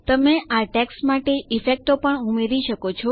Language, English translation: Gujarati, You can even add effects to this text